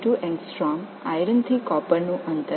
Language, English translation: Tamil, 92 Angstrom, iron to copper distance 3